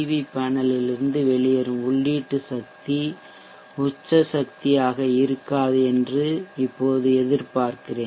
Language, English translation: Tamil, So we expect the power drawn from the PV panel to be at the peak power point